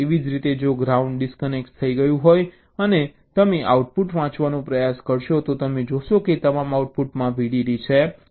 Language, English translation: Gujarati, similarly, if ground is disconnected and you try to read out the outputs, you will see that all the outputs are having vdd